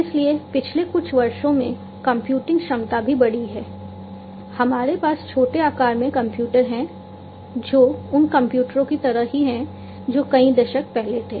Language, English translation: Hindi, So, computing capacity had also increased so, over the years we have now, you know, small sized computers that have the same power like the computers that were there several decades back